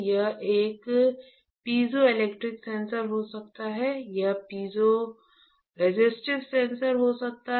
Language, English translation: Hindi, It can be a piezoelectric sensor; it can be a piezoresistive sensor